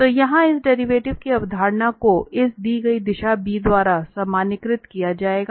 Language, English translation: Hindi, So, here the concept of this derivative will be generalized by this given direction b